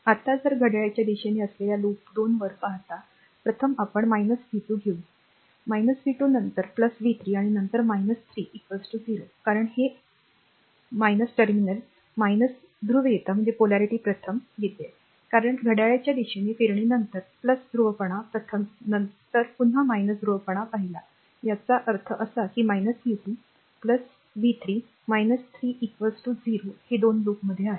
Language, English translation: Marathi, So, first I am taking this 1 minus v 2 this is minus v 2 then plus v 3, and then minus 3 is equal to 0, because this encountering minus ah terminal your minus polarity first, because moving clockwise then plus polarity first, then again minus ah polarity ah first; that means, minus v 2 plus v 3 minus 3 is equal to 0, that is in loop 2